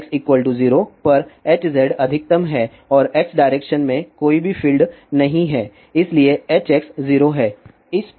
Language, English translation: Hindi, At x is equal to 0 H z is maximum and there is no filed along x direction, so H x is 0